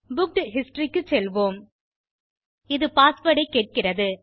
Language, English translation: Tamil, Lets go to booked history, it says enter the password